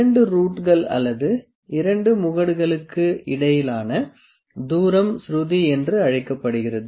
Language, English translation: Tamil, The distance between the 2 roots or 2 crests is known as pitch